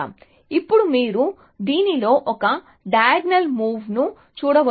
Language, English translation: Telugu, So, now you can see that a diagonal move in this